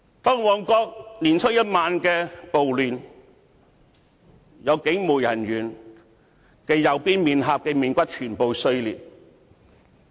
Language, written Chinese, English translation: Cantonese, 在年初一晚的旺角暴亂中，有警務人員右邊臉頰骨全部碎裂。, In the Mong Kok riot on the night of the first day of the Chinese New Year the right cheekbones of a police officer were entirely fragmented